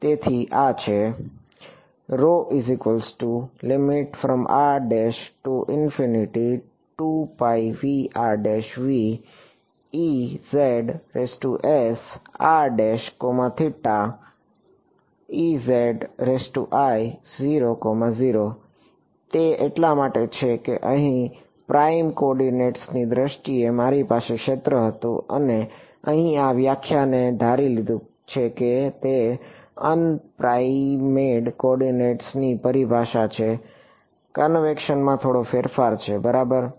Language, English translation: Gujarati, That is because, I had the field here in terms of prime coordinates and this definition over here assumed it was in term of unprimed coordinates, just a small change in convection ok